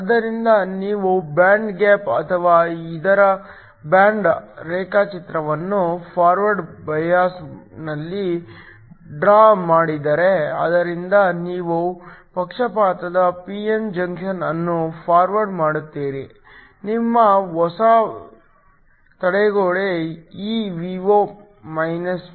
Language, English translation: Kannada, So, If you draw the band gap or the band diagram of this in forward bias, So, you forward the biased p n junction, your new barrier is Evo v